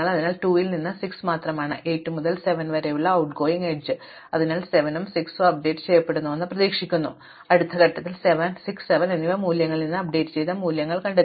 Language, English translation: Malayalam, So, the only out going is from 2 is 6 the only out going edge from 8 to 7, so you would expect 7 and 6 to get updated and indeed the next step you find the 6 and 7 get values which are updated from those values